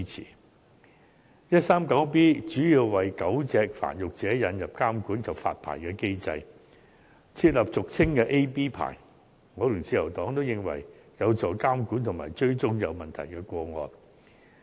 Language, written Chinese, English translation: Cantonese, 第 139B 章主要是為狗隻繁育者引入監管及發牌的機制，設立俗稱的 A、B 牌，我與自由黨均認為此舉有助監管及追蹤有問題的個案。, 139B mainly seeks to put in place a regulatory and licensing mechanism for dog breeders by introducing the so - called Category A or Category B licence . Both the Liberal Party and I consider this initiative conducive to monitoring and tracking of problematic cases